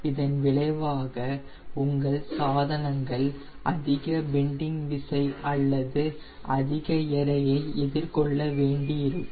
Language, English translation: Tamil, as a result, your spars will have to encounter more bending force or more weight